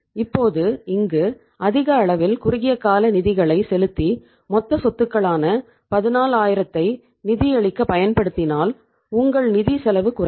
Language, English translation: Tamil, Now in this case if we use the more amount of the short term funds to fund this total say magnitude of 14000 total assets your financial cost will go down